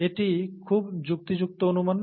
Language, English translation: Bengali, It is, it is a very rational guess